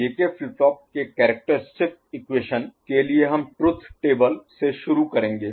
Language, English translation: Hindi, Characteristic equation of J K flip flop again we shall start with the truth table